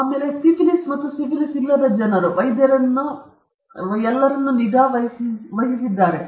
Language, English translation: Kannada, So, people with syphilis and without syphilis, they were all monitored by the physicians